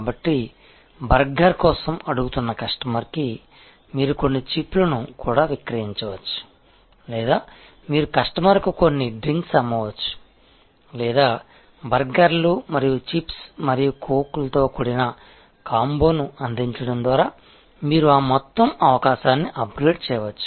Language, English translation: Telugu, So, a customer who is asking for burger, you can actually sell the customer also some chips or you can sell the customer some drinks or you can actually upgrade that whole opportunity by offering a combo, which are consists of burger and chips and coke and everything